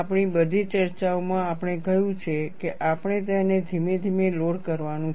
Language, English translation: Gujarati, In all our discussions, we have said, we have to load it gradually